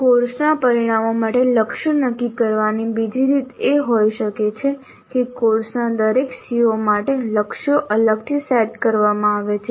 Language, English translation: Gujarati, A other way of setting the targets for the course outcomes can be that the targets are set for each CO of a course separately